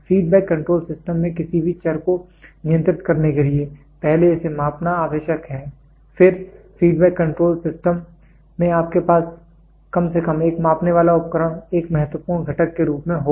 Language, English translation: Hindi, To control any variable in the in the feedback control system it is first necessary to measure it every feedback control system will you have at least one measuring device as a vital component